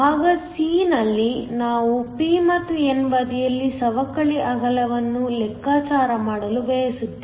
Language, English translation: Kannada, In part c, we want to calculate the depletion width on the p and the n side